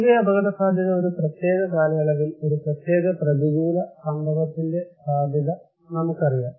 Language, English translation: Malayalam, Now, risk in general, we know the probability of a particular adverse event to occur during a particular period of time